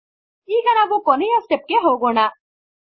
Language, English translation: Kannada, Now, let us go to the final step